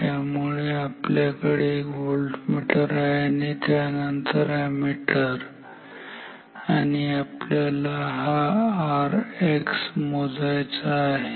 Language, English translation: Marathi, So, we have a voltmeter and then ammeter we want to measure this R X